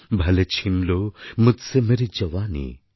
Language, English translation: Bengali, Bhale chheen lo mujhse meri jawani